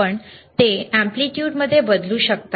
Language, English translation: Marathi, You can change it to amplitude,